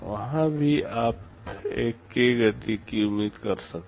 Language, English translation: Hindi, There also you can expect a k times speedup